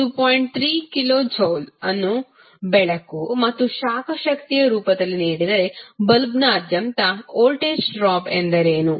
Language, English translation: Kannada, 3 kilo joule is given in the form of light and heat energy what is the voltage drop across the bulb